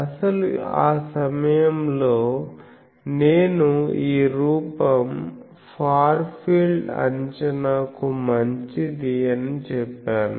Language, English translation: Telugu, Actually that time I said that this form is good for far field approximation